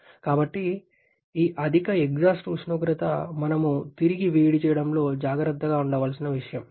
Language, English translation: Telugu, So, this higher exhaust temperature is something that we have to be careful about, with the use of reheating